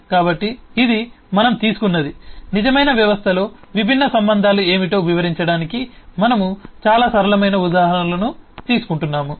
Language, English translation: Telugu, so this is we just took, we are just taking very simple examples to illustrate what eh different relationships could be in a real system